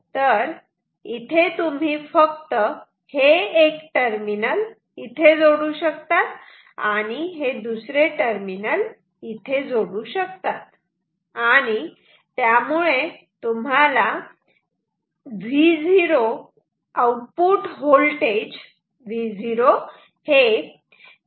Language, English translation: Marathi, You can just connect this one terminal here and the other terminal here ok